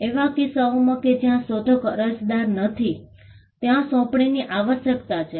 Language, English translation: Gujarati, In cases where the inventor is not the applicant, there is a need for assignment